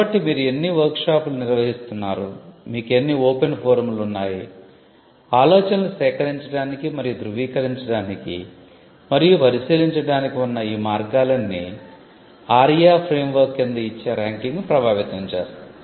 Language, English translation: Telugu, So, how many workshops you conduct, how many forums open forums you have, what are the ways in which ideas can be collected and verified and scrutinized all these things would affect the ranking under the ARIIA framework